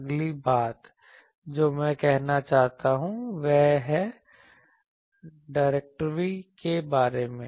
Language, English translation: Hindi, Next thing that I want to say is what about the directivity